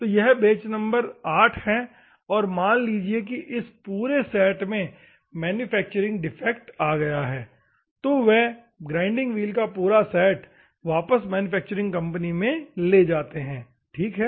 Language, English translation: Hindi, So, they may have 8, so that if there is a manufacturing defect in the complete set, they can take back the whole set of the grinding wheels to the manufacturing company, ok